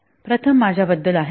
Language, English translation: Marathi, First is about myself